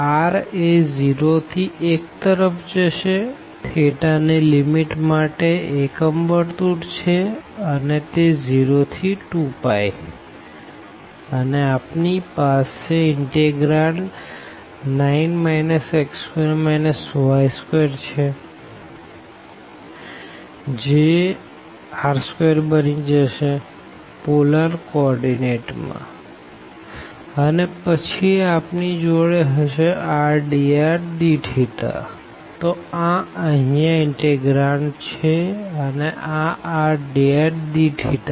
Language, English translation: Gujarati, So, the r will go from 0 to 1, we have unit circle for the limits of the theta it will be from 0 to 2 pi, and we have the integrand 9 minus this x square plus y square which will be become r square in the polar coordinate and then we have r dr and d theta, so that is the integrand here, and then this r dr d theta